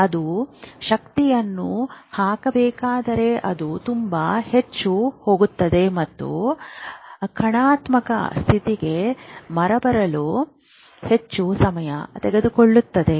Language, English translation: Kannada, That means if it has to put energy and power it goes very high, then it will take more time to come down to the negative state